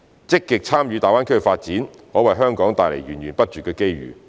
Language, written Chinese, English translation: Cantonese, 積極參與大灣區發展，可為香港帶來源源不絕的機遇。, Our active participation in the GBAs development will bring Hong Kong with endless opportunities